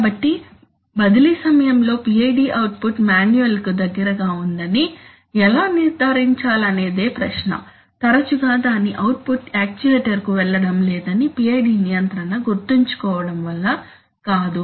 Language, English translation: Telugu, That the PID output is close to the manual during transfer in fact, it often it is not because of the fact that the PID control remembers that its output is not going to the actuator